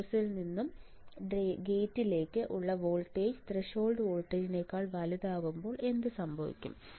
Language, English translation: Malayalam, When your gate to source voltage is greater than the threshold voltage what will happen